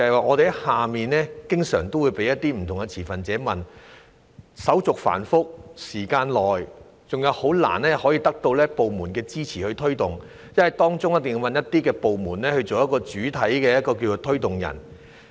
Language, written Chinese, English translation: Cantonese, 我們在外面經常會被不同持份者追問......手續繁複、需時長、以及難以得到部門支持推動政策，因為一定要找一些部門作政策的主體推動人。, We are often asked by different stakeholders out there The procedure is complicated and time - consuming and it is difficult to get support from any department for taking forward a policy given the need for some of them to take a leading role in doing so